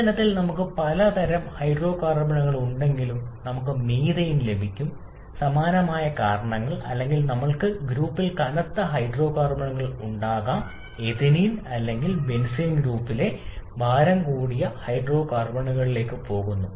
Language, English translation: Malayalam, Whereas in the fuel we can have several kinds of hydrocarbons both, we can have methane and similar kind of things or we can have heavy hydrocarbons as well in the group of ethylene or even going to even heavier hydrocarbons in the group of benzene